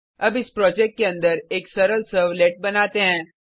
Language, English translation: Hindi, Let us now create a simple servlet inside this project